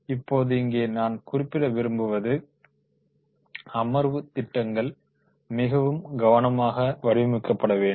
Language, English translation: Tamil, Now here I would like to mention that is the session plans are to be very carefully to be designed